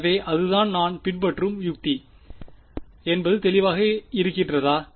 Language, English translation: Tamil, So, that is the strategy that we will follow is it clear